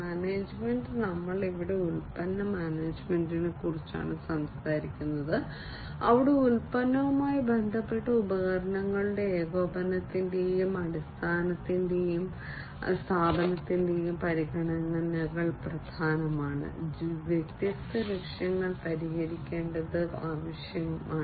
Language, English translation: Malayalam, Management, we are talking about product management over here, where, you know, the considerations of coordination and institution of product related devices are important it is required to fix different objectives